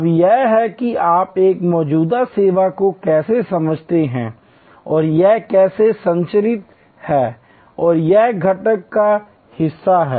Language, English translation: Hindi, Now, this is how you understand an existing service and how it is structured and it is constituent’s part